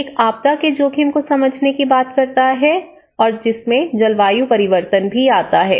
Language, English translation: Hindi, One is, understanding the disaster risk, including the risk of climate change